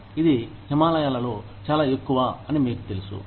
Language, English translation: Telugu, It is up in the Himalayas